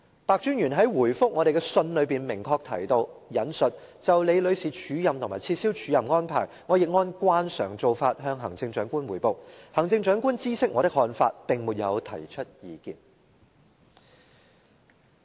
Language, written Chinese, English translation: Cantonese, 白專員在答覆我們的信中明確提到，就李女士署任和撤銷署任安排，他亦按慣常做法向行政長官匯報，行政長官知悉他的看法，並沒有提出意見。, In his reply letter Commissioner PEH specifically mentions that he reported the acting arrangement and cancellation of the acting arrangement concerning Ms LI to the Chief Executive as a usual practice; and that the Chief Executive was aware of his view but did not make any comments